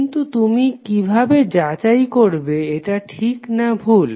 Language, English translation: Bengali, But how you will verify whether it is correct or not